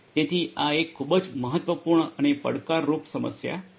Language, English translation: Gujarati, And this is a very important and a challenging problem